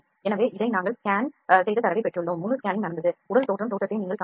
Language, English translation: Tamil, So, this we have obtained the scanned data and full scanning has happened you can see the body look likes this